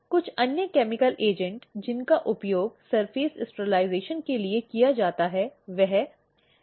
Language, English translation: Hindi, Some of the others chemical agent which is used for surface sterilization is HgCl 2